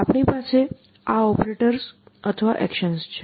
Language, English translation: Gujarati, We have the operators or the actions